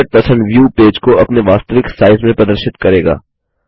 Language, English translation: Hindi, 100% view will display the page in its actual size